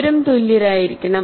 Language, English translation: Malayalam, They will also have to be equal